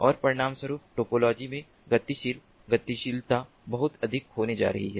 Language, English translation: Hindi, ok, and consequently the dynamic dynamism in the topology is going to be very much